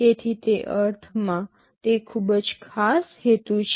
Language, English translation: Gujarati, So, it is very special purpose in that sense